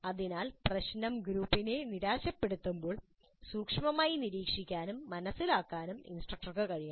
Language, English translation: Malayalam, So instructor must be able to monitor closely and sense when the problem is frustrating the group